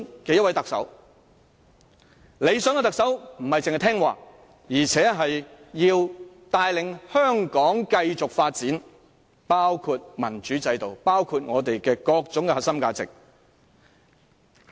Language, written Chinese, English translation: Cantonese, 理想的特首人選並不應只是聽話，還要帶領香港繼續發展，包括民主制度、香港各種核心價值的進展。, Not only should an ideal candidate be obedient he should also be able to lead Hong Kong in securing continuous development including making progress in terms of a democracy system and the various core values of Hong Kong